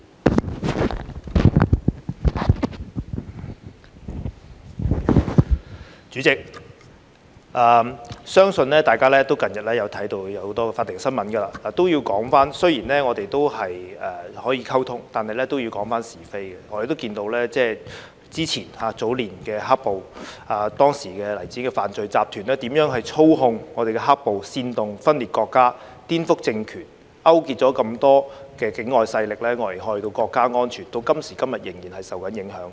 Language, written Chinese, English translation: Cantonese, 代理主席，相信大家近日都看到很多法庭新聞，我要說，雖然我們可以溝通，但是都要講是非的，我們看到早年的"黑暴"，當時黎智英的犯罪集團如何操控"黑暴"，煽動分裂國家、顛覆政權、勾結很多境外勢力危害到國家安全，到今時今日仍然受到影響。, Deputy President I believe Members have seen a lot of court news recently . I have to say that although we are free to communicate we must also understand what is right and wrong . We have seen the black - clad violence in the earlier period how the criminal group led by Jimmy LAI manipulated the black - clad violence inciting secession subverting the political regime and colluding with many foreign forces to endanger national security which is still being affected today